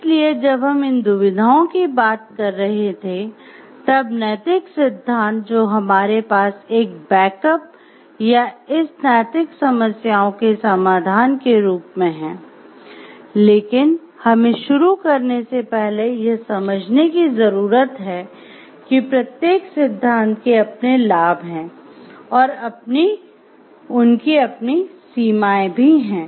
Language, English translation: Hindi, So, when we were talking of these dilemmas, then the ethical theories that we have as a backup support are a solution for resolving of this moral problems but before we begin we need to understand like each of the theories have their benefits pros and each of them have their limitations also